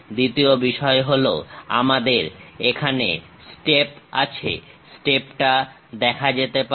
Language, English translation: Bengali, Second thing, we have a step; the step can be clearly seen